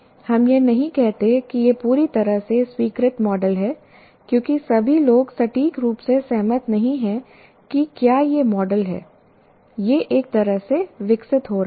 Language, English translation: Hindi, We do not say the fully accepted because all people do not exactly agree whether this is the model